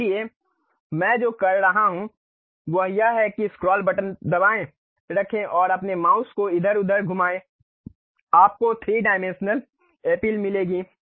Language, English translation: Hindi, So, what I am doing is click that scroll button hold it and move your mouse here and there, you will get the 3 dimensional appeal